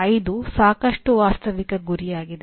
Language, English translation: Kannada, 5 is a quite a realistic target